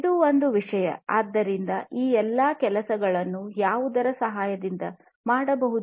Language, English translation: Kannada, So, this is one thing; so all of these things can be done with the help of what